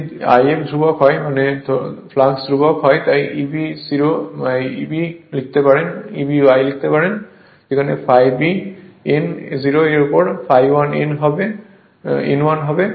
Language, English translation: Bengali, If I f is constant means the flux is constant right therefore, E b 0 by E b 1 you can write phi 0, n 0 upon phi 1 n 1